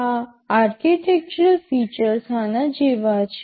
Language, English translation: Gujarati, This architectural featuresThese architectural features are like this